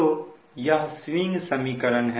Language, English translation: Hindi, so this is the swing equation